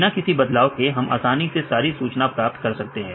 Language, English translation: Hindi, Without manipulating directly anything, we can easily get all the information